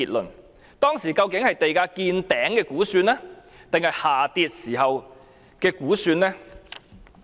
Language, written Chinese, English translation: Cantonese, 聯署文件中的數據，究竟是地價見頂時的估算，還是下跌時的估算？, Are the estimates cited in the jointly signed document made at a time when land prices hit a record high or when land prices started to fall?